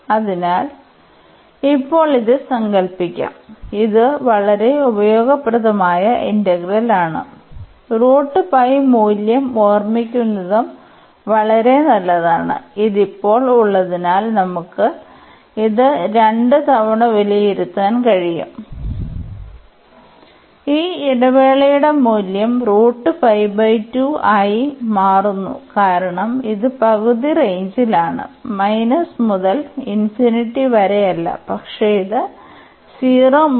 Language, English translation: Malayalam, So, at present we will assume this, but it is very useful integral and better to also remember this value square root of pi and having this one now we can evaluate this 2 times and the value of this interval is coming to b square root pi by 2 because this is in the half range not from minus into infinity, but it is 0 to infinity